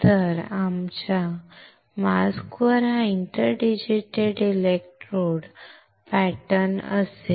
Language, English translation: Marathi, So, our mask would have this inter digitated electrode pattern on it